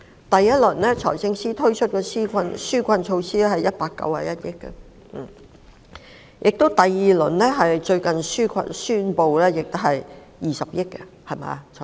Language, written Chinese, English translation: Cantonese, 第一輪，財政司司長推出191億元的紓困措施，第二輪是最近宣布的，涉及20億元。, In the first round the Financial Secretary introduced a number of relief measures costing 19.1 billion and in the second round which was announced recently it incurs 2 billion